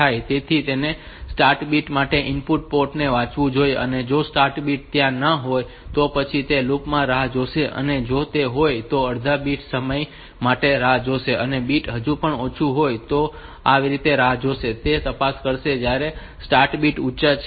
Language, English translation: Gujarati, So, it should read the input port for start bit the start bit is not there then it will wait in the loop, if it is yes then it will wait for half bit time and the bit is still low then it will wait for it will go it will check when the start bit goes high